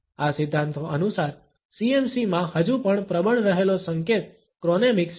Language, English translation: Gujarati, According to these theories the cue that is still remains dominant in CMC is Chronemics